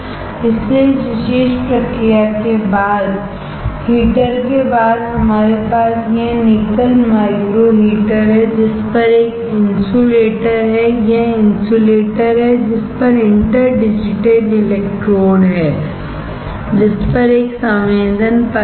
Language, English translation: Hindi, So, after the heater after this particular process we have this nickel micro heater on which there is a insulator; there is this insulator on which there are interdigitated electrodes on which there is a sensing layer